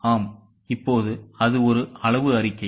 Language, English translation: Tamil, Yes, now it is a quantitative statement